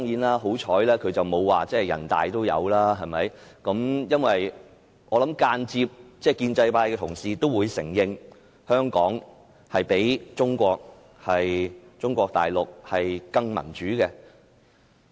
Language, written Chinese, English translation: Cantonese, 幸好他們沒有說人大常委會也有類似條文，因為我相信建制派同事也會間接承認，香港較中國大陸更民主。, Fortunately they have not said that there are similar provisions in the Standing Committee of the National Peoples Congress NPC because I believe pro - establishment colleagues have indirectly admitted that Hong Kong is more democratic than Mainland China